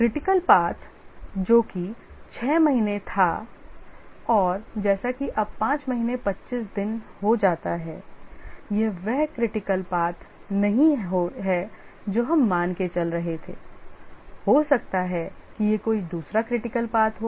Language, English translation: Hindi, The critical path which was, let's say, six months and as it becomes five months, 25 days, it may not remain the critical path